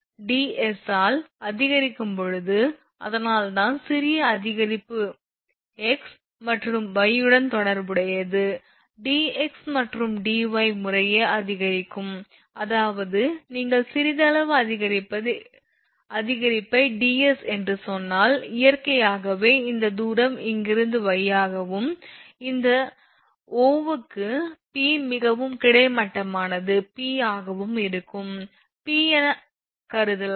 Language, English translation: Tamil, So, if when s is increases by ds that is why tell you that small increment is corresponding to x and y are increased by dx and dy respectively; that means, just hold on; that means, if you little bit of increase say ds, naturally this distance is y from here to here and this O to P that horizontal one it is P, for your this things suppose I can make this one also P dash